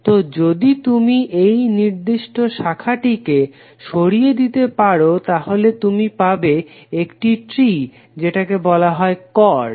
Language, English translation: Bengali, So if you removed this particular branch then you get one tree so this is called chord